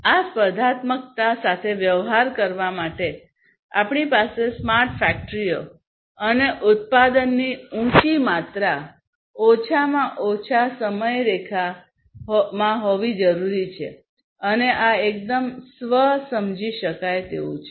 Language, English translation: Gujarati, So, we have highly competitive market in order to deal with this competitiveness, we need to have the smart factories and high amount of production within minimum timeline and this is quite self understood I do not need to elaborate this